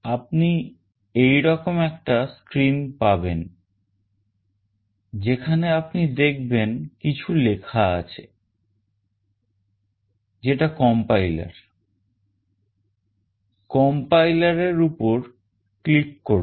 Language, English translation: Bengali, You will have a screen like this where you will find something which is written called compiler; click on that complier